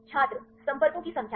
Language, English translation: Hindi, Number of contacts